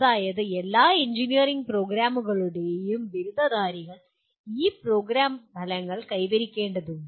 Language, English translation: Malayalam, That means graduates of all engineering programs have to attain this program outcomes